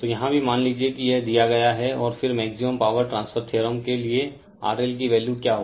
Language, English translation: Hindi, So, here also suppose this is given and then what will be your value of R L for the maximum power transfer theorem right